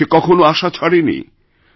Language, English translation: Bengali, He never gave up hope